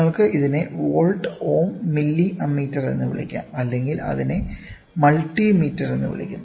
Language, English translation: Malayalam, You can call it as volt ohm milli ammeter or it is otherwise called as multi meter